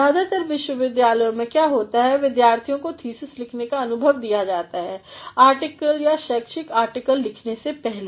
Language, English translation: Hindi, In most of the universities what happen is the students are exposed to write a thesis before they are going to write an article or a scholarly article